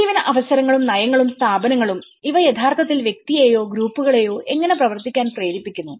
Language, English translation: Malayalam, As well as the livelihood opportunities and also the policies and the institutions, how these actually make the individual or the groups to act upon